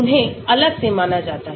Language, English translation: Hindi, they are separately considered